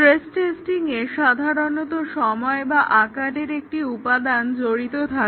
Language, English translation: Bengali, So, stress testing usually involves an element of time or size